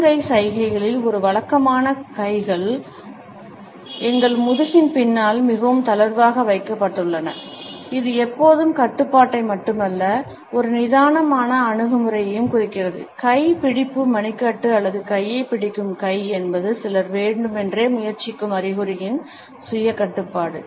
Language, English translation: Tamil, A routine palm in palm gesture where hands are very loosely held behind our back, which is always an indication of not only control, but also of a relaxed attitude, the hand gripping wrist or the hand gripping arm is an indication of certain deliberate attempt at self control